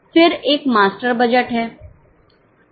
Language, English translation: Hindi, Then there is a master budget